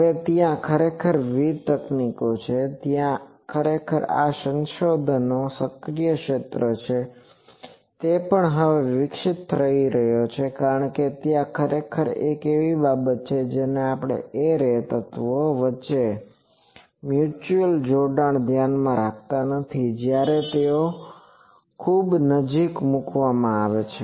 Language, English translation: Gujarati, Now, there are various techniques actually, there are actually this is an active area of research even now also it is evolving because there are actually one thing we are not considering that mutual coupling between the array elements when they are placed closely